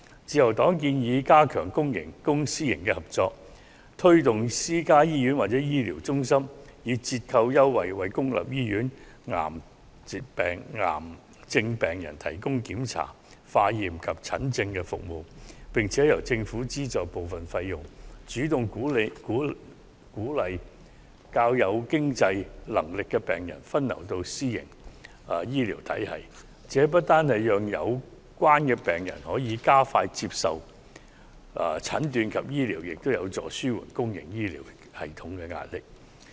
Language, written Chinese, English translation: Cantonese, 自由黨建議加強公私營合作，推動私家醫院或醫療中心透過折扣優惠，為公立醫院癌症病人提供檢查、化驗及診症服務，並由政府資助部分費用，主動鼓勵較有經濟能力的病人分流到私營醫療系統。這不單讓有關病人可加快接受診斷及治療，也有助紓緩公營醫療系統的壓力。, The Liberal Party suggests that we should strengthen the cooperation between public and private sectors facilitate the provision of medical examinations laboratory and consultation services at discounted prices by private hospitals or medical centres for cancer patients in public hospitals with partial subsidy by the Government actively encourage the patients who are financially better able to seek medical services through private health care system for early and speedy diagnosis and treatment which will also help to relieve the pressure on public health care system